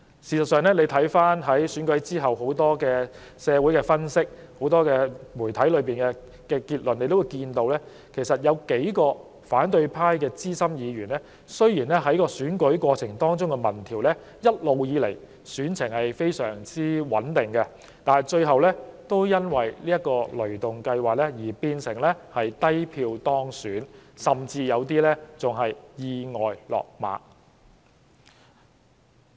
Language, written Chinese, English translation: Cantonese, 事實上，大家看到在選舉後，社會上和媒體中很多分析均指出，在選舉過程中的民調顯示，有數名反對派資深議員的選情一直相當穩定，但他們最後卻因為"雷動計劃"變成低票當選，有些甚至意外"落馬"。, In fact as we saw after the election there were many analyses in the community and the media which pointed out that thanks to ThunderGo several senior Members of the opposition camp despite enjoying solid support throughout the race as indicated by polling results only managed to win with a much smaller number of votes